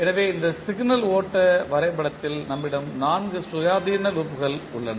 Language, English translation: Tamil, So you see in this particular signal flow graph we have four independent loops